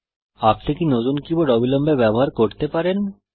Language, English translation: Bengali, Can you use the newly keyboard immediately